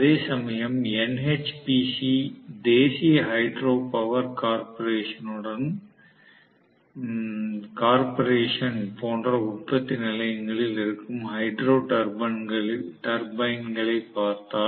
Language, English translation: Tamil, Whereas, if we are looking at Hydro turbine, which are there in generating stations, which correspond to NHPC National Hydro Power Corporation